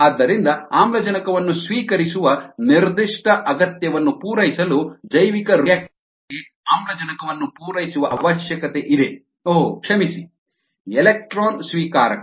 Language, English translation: Kannada, so oxygen needs to be supplied to bioreactors to satisfy that particular ah need of the oxygen acceptor, oh, sorry, the electron acceptor